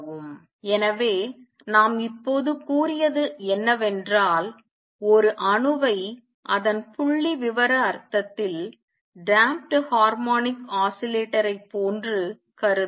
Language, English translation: Tamil, So, what we have just said is that consider an atom like a damped harmonic oscillator in its statistical sense